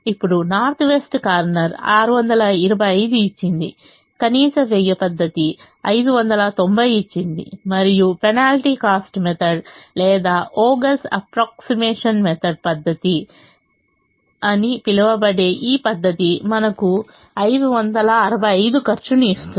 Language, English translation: Telugu, min cost gave five hundred and ninety, and this method, which is called penalty cost method or vogels' approximation method, gives us a cost of five hundred and sixty five